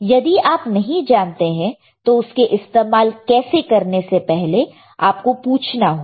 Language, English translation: Hindi, If you do not know you ask before you use it all right